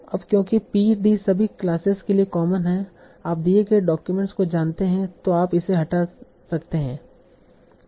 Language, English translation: Hindi, And now because PD is common for all the classes, yes, you know the given document, so this you can remove